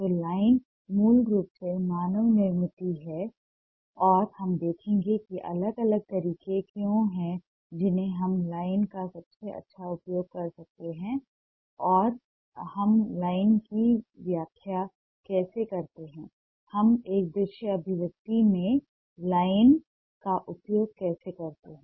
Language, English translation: Hindi, so line is basically man made and we'll see what ah are the different ways that ah we can make ah the best use of line and how we interpret line, how you ah how we make use of line in a visual expression